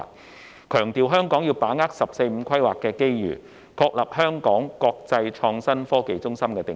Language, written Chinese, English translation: Cantonese, 他強調香港要把握"十四五"規劃的機遇，確立香港國際創新科技中心的定位。, He stressed that Hong Kong should capitalize on the opportunities brought by the 14 Five - Year Plan to establish its position as an international IT hub